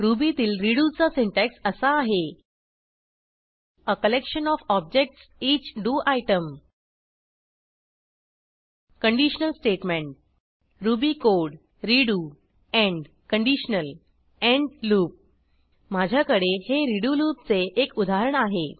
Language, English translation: Marathi, The syntax for redo in Ruby is as follows: a collection of objects.each do item a conditional statement ruby code redo end conditional end loop I have a working example of the redo loop